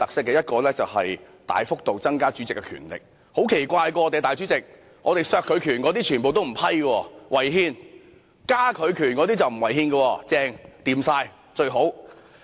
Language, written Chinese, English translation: Cantonese, 第一是大幅度增加主席的權力，而我們的主席也很奇怪，削減他權力的修訂全部不獲批准，理由是違憲，但增加其權力的卻沒有違憲，非常理想。, The first one is the considerable expansion of the Presidents powers and it is really puzzling that the President has on the one hand rejected all amendments which seek to reduce his powers on the ground that they are unconstitutional but is of the opinion on the other hand that amendments proposed to expand his powers are constitutional and very desirable